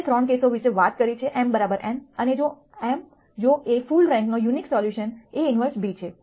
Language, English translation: Gujarati, We talked about 3 cases m equal to n and m if A is full rank unique solution A inverse b